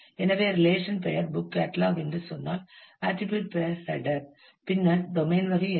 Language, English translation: Tamil, So, if the relation name is say book catalogue, then the attribute name is title, then what is the domain type